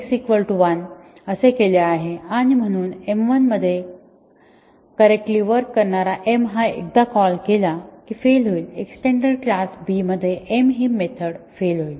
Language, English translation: Marathi, So, he assigned x is equal to 1 and therefore, m which work correctly in A once m 1 is called, will fail, the method m will fail in the extended class B